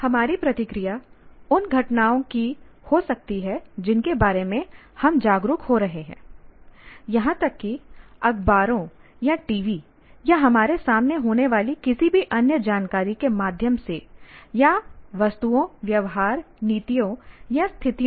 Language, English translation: Hindi, And now our reaction can be to the event that is occurring in front or events that we are becoming aware of, either through the newspapers or the TVs or any other information are happening in front of us or objects, behaviors, policies or situations